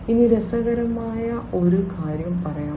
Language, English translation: Malayalam, Now, let me talk about an interesting thing